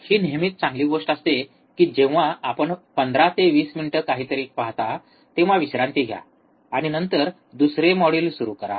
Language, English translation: Marathi, And there it is always good that you look at something for 15 to 20 minutes take a break, and then start another module